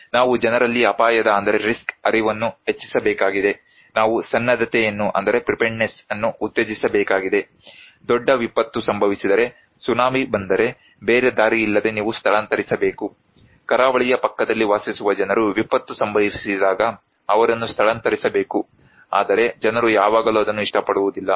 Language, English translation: Kannada, we need to make people, increase people's risk awareness, we need to promote preparedness, small thing that if there is a big disaster, is the tsunami you have to evacuate, no other option, people who are living near the coastal side, they have to evacuate when there is a disaster, but people always do not like that